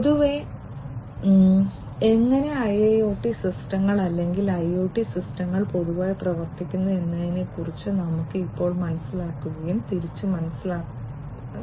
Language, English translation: Malayalam, So, let us now get into understanding and going back, going back into the understanding about how in general the IIoT systems or IoT systems in general work